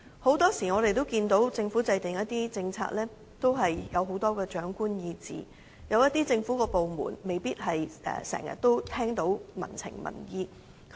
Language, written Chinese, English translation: Cantonese, 很多時候，我們看到政府在制訂一些政策時有很多長官意志，有一些政府部門未必能夠經常聽到民情和民意。, Often a great deal of the will of the leadership can be seen in the formulation of policies and some government departments may not be always aware of public sentiments and opinions